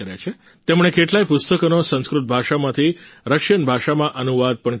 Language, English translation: Gujarati, He has also translated many books from Sanskrit to Russian